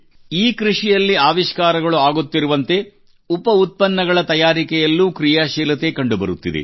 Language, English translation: Kannada, Innovation is happening in agriculture, so creativity is also being witnessed in the byproducts of agriculture